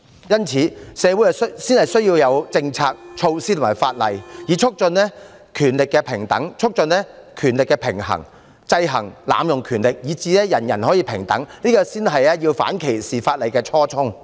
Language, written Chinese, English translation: Cantonese, 因此，社會才需要有政策、措施和法例，以促進權力的平等、促進權力的平衡，制衡濫用權力，以達致人人平等，這才是反歧視條例的初衷。, Thus there is a need for policies measures and laws to be implemented in society to promote equality of power balance of power and control of abuse of power so as to achieve equality for all . That is the original intention of the anti - discrimination ordinances